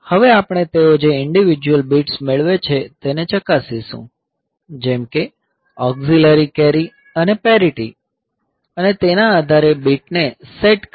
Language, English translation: Gujarati, Now we will check the individual bits they carry auxiliary carry and parity and accordingly set the bits